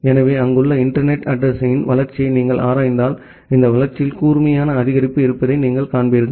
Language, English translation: Tamil, So, if you look into the growth of internet address which are there, you will see that there is a sharp increase in this growth